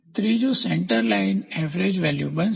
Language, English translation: Gujarati, The third one is going to be the Centre Line Average